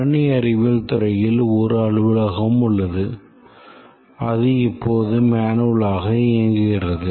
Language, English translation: Tamil, Let's say the computer science department has a office which is operating right now manually